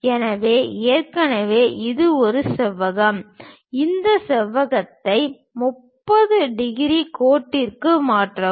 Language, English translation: Tamil, So, already it is a rectangle, transfer this rectangle onto a 30 degrees line